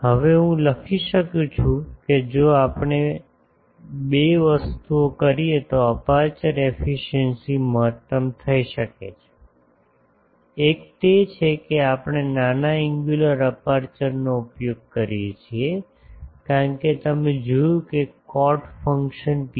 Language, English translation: Gujarati, Now, I can write that aperture efficiency can be maximised if we do two things; one is that we use small angular aperture because you see that cot function psi